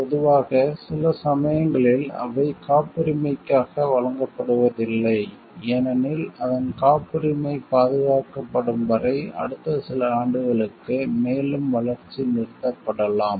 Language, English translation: Tamil, Generally, some it sometimes not given for patenting, because then the further development on it may stop for the next few years till the time the patent is it is patent protected